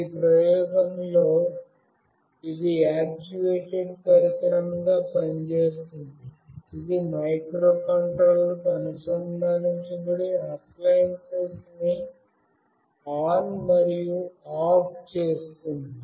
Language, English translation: Telugu, In this experiment it is acting as a actuated device, which is connected to microcontroller to turn ON and OFF the appliance